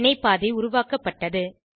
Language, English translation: Tamil, Reaction path is created